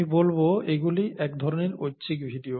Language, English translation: Bengali, So I would say that this is kind of optional videos